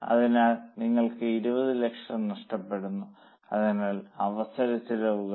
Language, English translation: Malayalam, So 10 into 2 you are losing 20 lakhs that is the opportunity cost